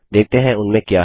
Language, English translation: Hindi, Let us see what they contain